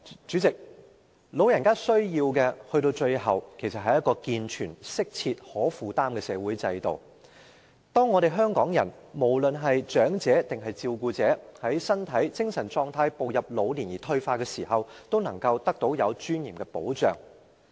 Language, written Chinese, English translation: Cantonese, 主席，老人家最終需要的，其實是一個健全、適切和可負擔的社會制度，這制度可讓香港人，不論是長者或照顧者，在身體和精神狀態步入老年而退化的時候，能夠得到具尊嚴的保障。, President what the elderly ultimately need is actually a sound appropriate and affordable social system which enables Hongkongers be they elderly people or carers to enjoy protection with dignity during physical and mental degeneration when they have stepped into old age . Birth ageing illness and death are the stages of life which everyone must go through